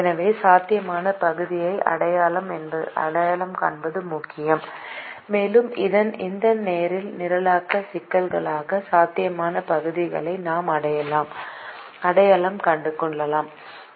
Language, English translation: Tamil, so it's important to identify the feasible region and we have identified the feasible region for this linear programming problem